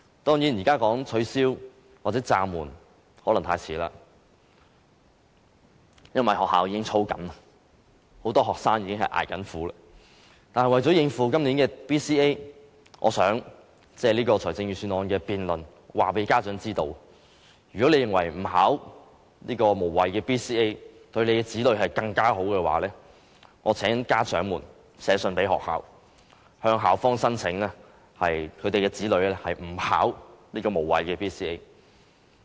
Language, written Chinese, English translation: Cantonese, 當然，現在說取消或暫緩可能太遲，因為學校已經在操練，很多學生已在捱苦，但為了應付今年的 BCA， 我想借這個施政報告議案辯論告訴家長，如果你們認為不考這個無謂的 BCA 對子女更好，請寫信給學校，向校方申請豁免參加無謂的 BCA。, Certainly it may be too late to demand the abolition or suspension of BCA because schools are already drilling students and many students are already suffering . However to deal with the upcoming BCA this year I would like to take the opportunity of this debate on the motion of thanks to tell parents that if they think it will be better for their children not to take BCA they can write to the schools asking for exemption